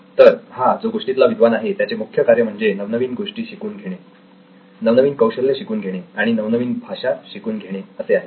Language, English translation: Marathi, So this particular scholar’s main job was to learn new things, new skills, new languages